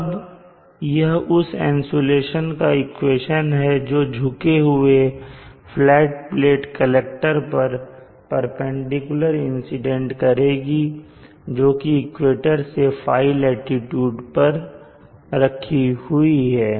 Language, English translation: Hindi, Now this is the insulation equation for the insulation that is incident perpendicular to the tilted flat plate collector located at a locality which is at a latitude